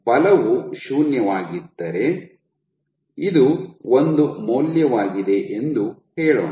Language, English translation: Kannada, So, let us say if my force was 0, this is a value of one